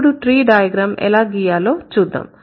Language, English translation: Telugu, So, now let's see how to draw the tree